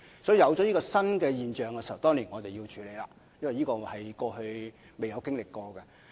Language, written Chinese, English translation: Cantonese, 當有這種新現象出現時，我們當然要處理，因為這是過去未曾經歷過的。, When such a new problem arise we must handle it because it was never found before